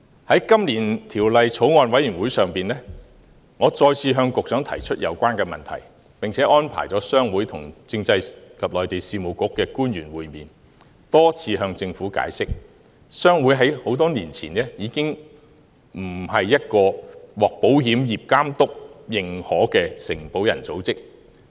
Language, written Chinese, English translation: Cantonese, 在今年法案委員會會議上，我再次向局長提出有關問題，並且安排商會跟政制及內地事務局的官員會面，多次向政府解釋，商會在多年前已經不是一個獲保險業監督認可的承保人組織。, At meetings of the Bills Committee this year I have raised the same issue with the Secretary . I also arranged to meet with public officers of the Constitutional and Mainland Affairs Bureau and repeatedly explained to them that HKPA ceased to be an association of underwriters approved by the Insurance Authority many years ago and thus lost the only vote it had